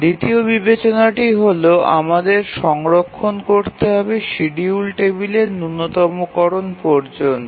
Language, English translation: Bengali, The second consideration is minimization of the schedule table that we have to store